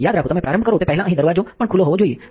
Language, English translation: Gujarati, Remember to open the sash before you start also have the door open here